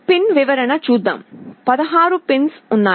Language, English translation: Telugu, Let us look at the pin description; there are 16 pins